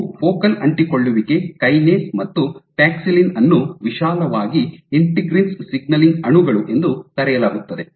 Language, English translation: Kannada, So, these are also focal adhesion kinase and paxillin are broadly called integrins signaling molecules